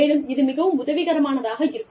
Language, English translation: Tamil, And, it is very helpful